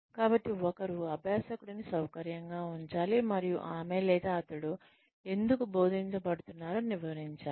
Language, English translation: Telugu, So, one should put the learner at ease, and explain why, she or he is being taught